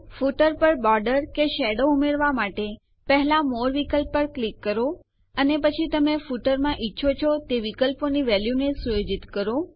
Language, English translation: Gujarati, To add a border or a shadow to the footer, click on the More option first and then set the value of the options you want to put into the footer